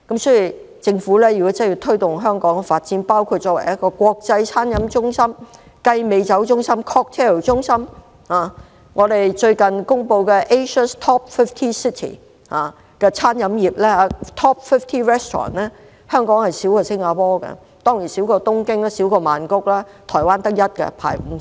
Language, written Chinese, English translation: Cantonese, 所以，如政府真的要推動香港發展，包括香港作為國際餐飲中心、雞尾酒中心......最近公布的亞洲首5間餐廳，香港較新加坡少，當然亦較東京、曼谷少，台灣只有一間，排名50。, Hence if the Government truly wishes to promote the development of Hong Kong into an international gourmet and catering centre cocktail centre Among the Asias best five restaurants announced recently there were fewer restaurants from Hong Kong than those from Singapore and of course fewer than those from Tokyo and Bangkok . Only one restaurant from Taiwan is on the list ranking at the 50